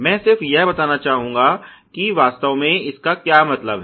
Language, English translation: Hindi, I would just like to illustrate what really it means